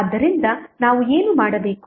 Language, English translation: Kannada, So, what we have to do